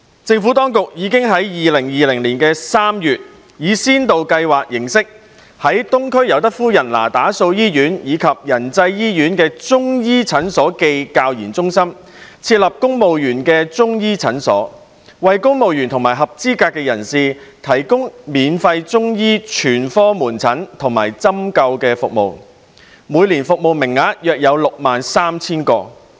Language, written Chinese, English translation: Cantonese, 政府當局已於2020年3月，以先導計劃形式，在東區尤德夫人那打素醫院及仁濟醫院的中醫診所暨教研中心，設立公務員中醫診所，為公務員及合資格人士提供免費中醫全科門診和針灸服務，每年服務名額約 63,000 個。, The Administration launched a pilot scheme in March 2020 to provide free Chinese medicine general consultation and acupuncture services for CSEPs at two Civil Service Chinese Medicine Clinics set up at the Chinese Medicine Clinics cum Training and Research Centres located respectively at the Pamela Youde Nethersole Eastern Hospital and Yan Chai Hospital . The annual service quota was set at around 63 000